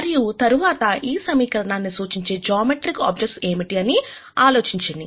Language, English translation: Telugu, And then think about what geometric objects that these equations represent